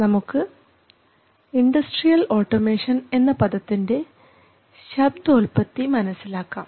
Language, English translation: Malayalam, So let’s look at the etymology of the name industrial automation